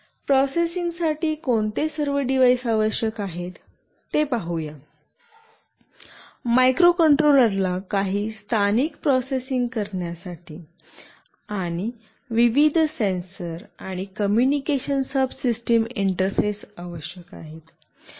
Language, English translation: Marathi, Let us see what all devices are required for the processing; microcontroller is required for carrying out some local processing, and interface with the various sensors and the communication subsystem